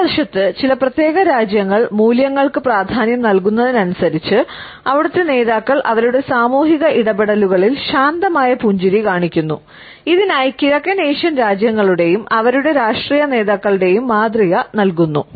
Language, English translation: Malayalam, On the other hand, the more a particular nation values come, the more those leaders show calm smiles in their social interactions and she is given the example of East Asian countries and their political leaders